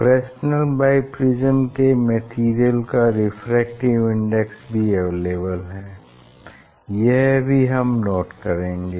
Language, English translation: Hindi, Refracted index of the material of the Fresnel s biprism; that is also supplied, so we have to note down